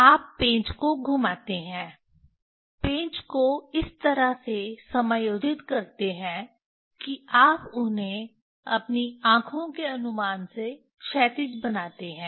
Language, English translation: Hindi, You rotate the screw adjust the screw in such a way that you make them horizontal from your eye estimation